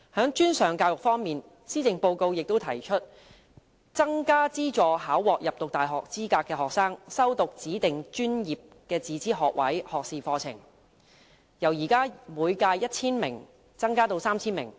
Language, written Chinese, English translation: Cantonese, 在專上教育方面，施政報告提出增加資助考獲入讀大學資格的學生修讀指定專業自資學士學位課程，由現時每屆 1,000 名增加至 3,000 名。, As for tertiary education the Policy Address proposes that the number of subsidized places for students attaining minimum university requirement for studying designated professional self - financing undergraduate programmes be increased from 1 000 to 3 000